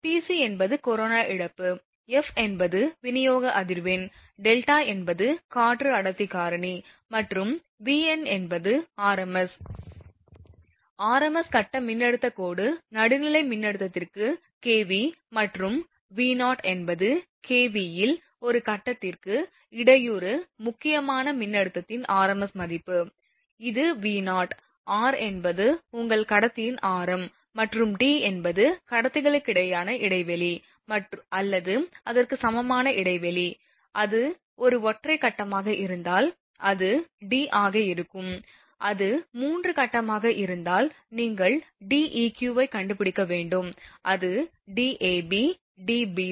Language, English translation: Tamil, Pc is the corona loss, f is your supply frequency, delta is your air density factor and V n is r m s, r m s phase voltage line to neutral voltage in kV and V 0 is r m s value of disruptive critical voltage per phase in kV, this is V 0, r is the radius of the your conductor and D is the spacing or equivalent spacing between conductors, if it is a single phase then it will be D, if it is 3 phase then you have to find out D eq, that is your you know that the D ab, D bc, D ca to the power 1 3rd into 10 to the power minus 5 kilowatt per kilometre per phase